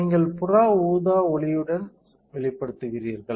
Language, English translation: Tamil, So, you are exposing with UV light right